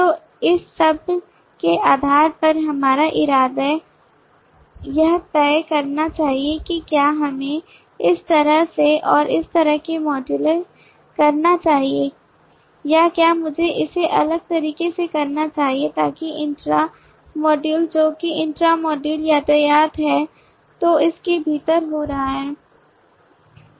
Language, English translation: Hindi, so based on all this our intention is to decide should we modularize like this, like this and like this or should i do it differently so that the intra module that is the intra module the traffic that is happening within this